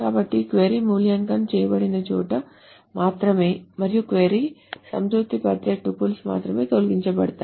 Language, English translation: Telugu, So only where the query is evaluated and only those tables that satisfy the query can be are deleted